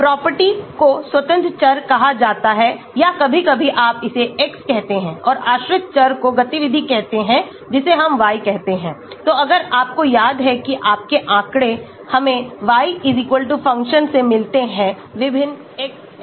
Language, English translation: Hindi, So, the property is called the independent variable or sometimes you call it x and activity to the dependent variable we call it y, so if you remember your statistics we get y=function of various xs